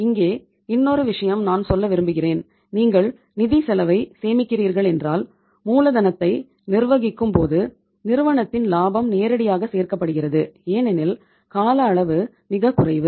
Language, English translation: Tamil, And uh one more thing here I would like to say that if you are saving upon the financial cost while managing the uh while managing the working capital that directly adds up to the profitability of the firm because time period is very very short